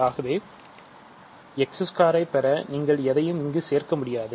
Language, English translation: Tamil, So, you cannot put anything here to get x squared here in order to cancel